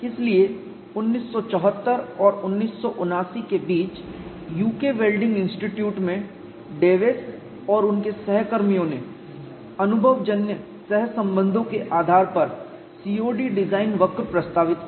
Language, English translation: Hindi, So, Dews and his co workers between the years 1974 and 1979 at UK Welding Institute proposed COD design curve based on empirical correlations